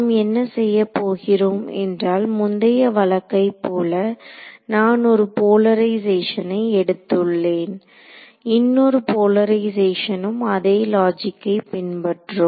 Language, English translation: Tamil, So, what we will do is like in the previous case we can consider 1 polarization, the other polarization the same kind of logic will follow right